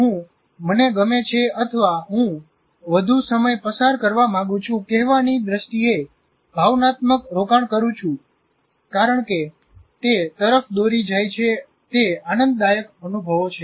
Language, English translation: Gujarati, So I put emotional investment in that in terms of saying that I like, I want to spend more time and because it leads a certain pleasurable experiences and so on